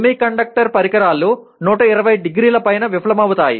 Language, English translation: Telugu, Semiconductor devices fail above 120 degrees